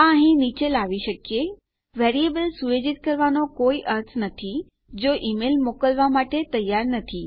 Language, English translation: Gujarati, Perhaps we could bring these down here there is no point setting a variable if the email is not ready to send